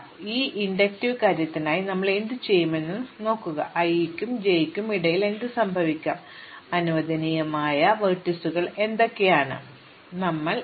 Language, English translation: Malayalam, So, what we will do for this inductive thing is to restrict, what can happen in between i and j, what are the vertices that are allowed and we will gradually increase the set